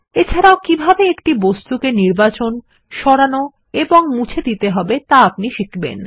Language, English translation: Bengali, You will also learn how to:Select, move and delete an object